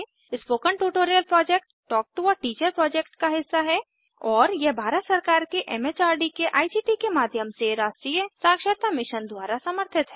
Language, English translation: Hindi, Spoken Tutorial Project is a part of the Talk to a Teacher project and It is supported by the National Mission on Education through ICT, MHRD, Government of India